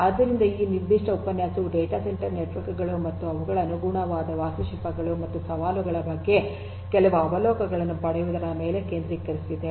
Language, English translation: Kannada, So, this particular lecture focused on getting some overview of data centre networks and their corresponding architectures and challenges and so on